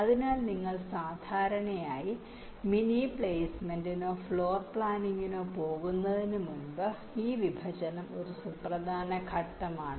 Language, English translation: Malayalam, ok, so this partitioning is a important steps before you go for mini placement or floorplanning, typically